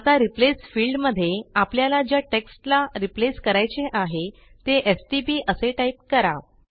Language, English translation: Marathi, Now in the Replace field let us type the abbreviation which we want to replace as stp